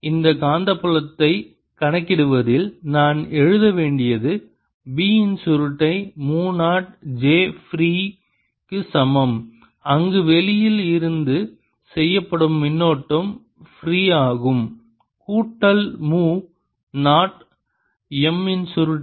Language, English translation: Tamil, so what i should be writing in calculating this magnetic field is: curl of b is equal to mu naught j, free, where free is the current which is done from outside, plus mu naught curl of m